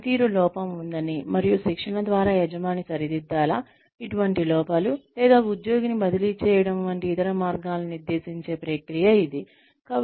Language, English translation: Telugu, It is the process of verifying that, there is a performance deficiency, and determining, whether the employer should correct, such deficiencies through training, or some other means like, transferring the employee